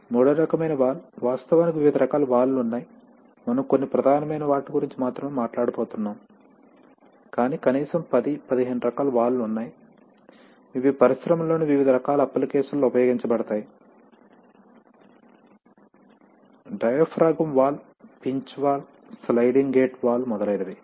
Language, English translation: Telugu, The third kind of valve, actually there are various kinds of valves, we are going to only talk about some major ones but there are at least 10, 15 different types of valves which are, which are used in various kinds of applications in the industry, diaphragm valve, pinch valve, sliding gate valve etc